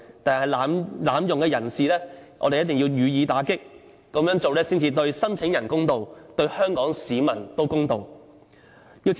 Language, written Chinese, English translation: Cantonese, 但是，濫用的人士，我們一定要予以打擊，這樣做才對申請人公道，對香港市民公道。, Nevertheless we should curb those who are abusing the Convention . It is only in this way that applicants can be treated in a fair manner